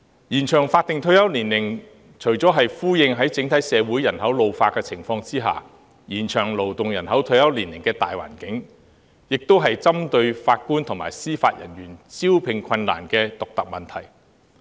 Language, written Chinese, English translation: Cantonese, 延長法定退休年齡，除了是回應在整體社會人口老化的情況下延長勞動人口退休年齡的大環境外，亦是針對法官及司法人員招聘困難的獨特問題。, An extension of the statutory retirement age is not only a response to the need to extend the retirement age of the working population under the broad environment of an ageing population in the community at large but also a targeted measure to address the unique difficulties in recruiting JJOs